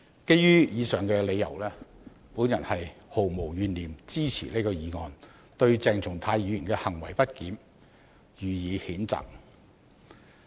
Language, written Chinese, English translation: Cantonese, 基於上述理由，我毫無懸念支持這項議案，對鄭松泰議員的行為不檢予以譴責。, Based on these reasons I have no hesitation in supporting this motion to censure the misbehaviour of Dr CHENG Chung - tai